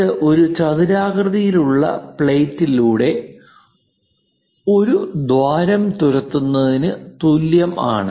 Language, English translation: Malayalam, It is more like drilling a hole through rectangular plate